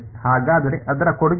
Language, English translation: Kannada, So, what is its contribution